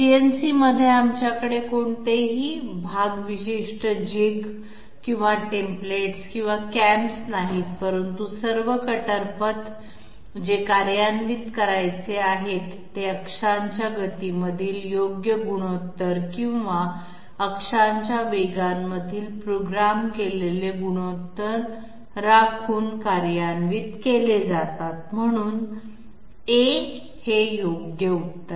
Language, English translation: Marathi, In CNC we are having no part specific jigs or templates or cams, et cetera, but all the cutter paths which are to be executed, they are executed by maintaining correct ratio between axes speeds or programmed ratio between axes speeds, so A is the correct answer